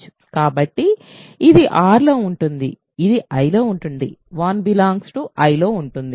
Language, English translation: Telugu, So, this is in R this is in I, 1 is in I